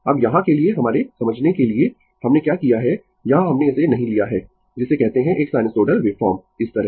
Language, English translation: Hindi, Now, here for your for our understanding what we have done is, here we have not taken it your what you call a sinusoidal waveform like that